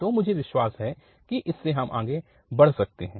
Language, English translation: Hindi, So, I believe this we can proceed further